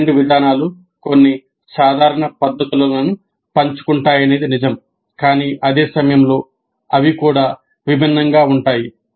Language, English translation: Telugu, It is true that both these approaches share certain common methodologies but at the same time they are distinct also